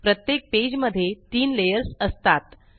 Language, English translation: Marathi, There are three layers in each page